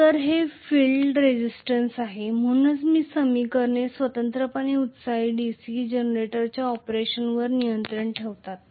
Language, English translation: Marathi, So, this is field resistance, so this is, these are the equations which governed the operation of separately excited DC generator